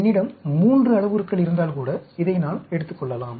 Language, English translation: Tamil, If I have 3 parameters also, I can take up this